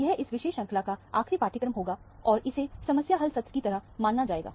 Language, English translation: Hindi, This will be the last module of this particular course, and this is considered to be a problem solving session